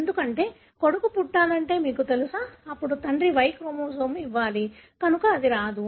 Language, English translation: Telugu, Because, you know if son has to be born, then father should have given the Y chromosome, so it doesn’t come